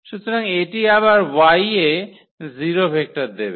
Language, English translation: Bengali, So, this should give again the 0 vector in this Y